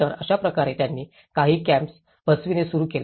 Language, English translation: Marathi, So, this is how they started setting up some camps